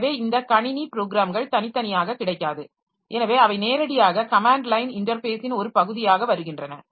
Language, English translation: Tamil, So there this system programs are not available separately, say they come as part of the command line interface directly